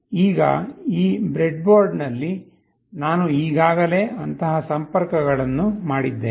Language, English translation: Kannada, Now on this breadboard, I have already made such connections